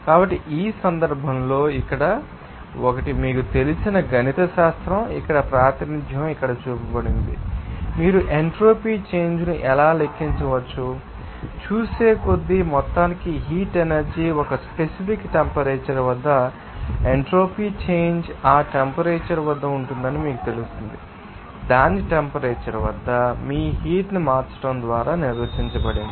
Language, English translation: Telugu, So, in this case, here one, you know that mathematical you know, representation here shown here, that, how do you entropy change can be calculated, if you are changing your, you know, heat energy for a small amount you will see at a particular temperature, you will see that at that temperature that entropy change will be, you know, defined by that change your heat upon at its temperature